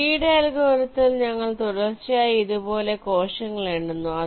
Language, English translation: Malayalam, you see, in a lees algorithm we are numbering the cells consecutively like this